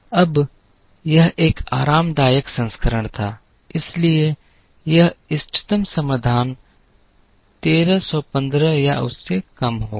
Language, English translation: Hindi, Now, this was a relaxed version, so this optimum solution will be 1315 or lower